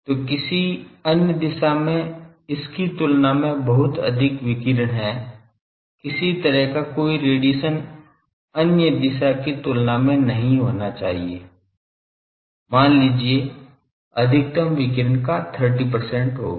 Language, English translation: Hindi, So, much radiation compared to that in some other direction there should not be any radiation compared to that in some other direction there will be some suppose 30 percent of radiation of the maximum